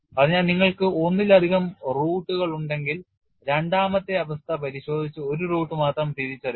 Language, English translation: Malayalam, So, if you have multiple roots, check the second condition and identify only one root